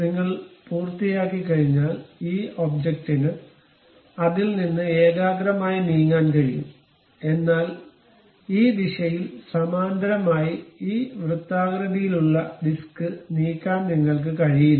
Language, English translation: Malayalam, Once you are done, this object can move concentrically out of that only, but you cannot really move this circular disc away parallel to this in this direction